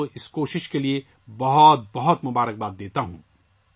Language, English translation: Urdu, I congratulate the people there for this endeavour